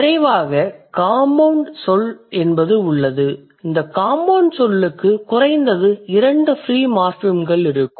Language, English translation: Tamil, And then finally there is something called compound word and this compound word will have at least two free morphims